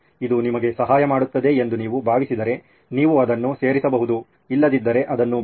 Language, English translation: Kannada, If you think it is helping you, you can add it, otherwise leave that